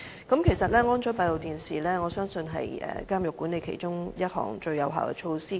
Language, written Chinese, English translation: Cantonese, 我相信安裝閉路電視是監獄管理中，最有效措施之一。, I believe the installation of a CCTV system is one of the most effective measures in prison management